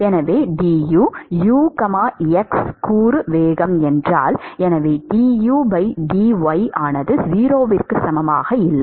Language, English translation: Tamil, So, therefore, du, if u is the x component velocity; so, du by dy is not equal to 0